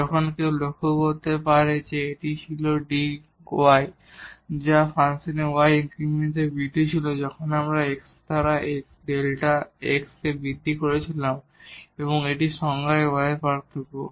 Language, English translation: Bengali, Now, one can observe that this was delta y which was the increment in y increment in the function when we made an increment in x by delta x and this is dy the differential of y in our definition